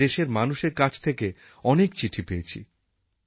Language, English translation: Bengali, I receive many letters from the citizens